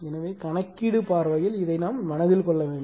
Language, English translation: Tamil, So, this from the numerical point of view this you have to keep it in mind